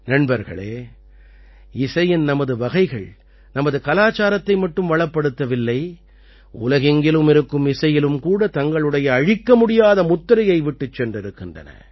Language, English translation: Tamil, Friends, Our forms of music have not only enriched our culture, but have also left an indelible mark on the music of the world